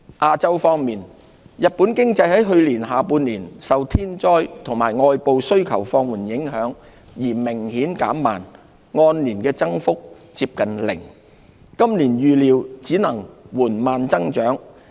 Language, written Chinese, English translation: Cantonese, 亞洲方面，日本經濟在去年下半年受天災及外部需求放緩影響而明顯減弱，按年增幅接近零，今年預料只能緩慢增長。, In Asia Japans economy markedly weakened in the second half of 2018 due to natural disasters and slackened external demand with a year - on - year growth close to zero